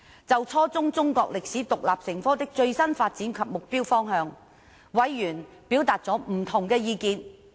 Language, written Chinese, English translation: Cantonese, 就初中中國歷史獨立成科的最新發展及目標方向，委員表達了不同的意見。, Members expressed different views on teaching Chinese history as an independent subject at junior secondary level